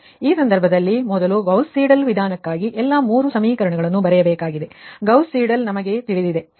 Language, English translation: Kannada, so in that case you have to, you have to right down first all the three equations for the gauss seidel method